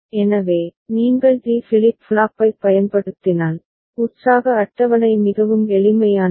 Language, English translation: Tamil, So, if you use D flip flop, then the excitation table is very simple right